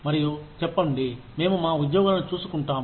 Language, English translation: Telugu, And say, we look after our employees, no matter what